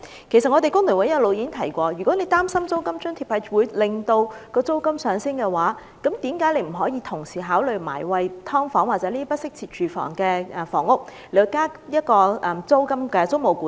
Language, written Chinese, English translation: Cantonese, 工聯會一直有提出建議，假如政府擔心提供租金津貼會令租金上升，何不同時也考慮就"劏房"或用作不適切居所的處所制訂租務管制？, All along the FTU has been suggesting that the Government should put in place tenancy control over sub - divided flats or premises used for inadequate housing purposes if it worries that the provision of rent subsidy may prompt the landlords to increase rent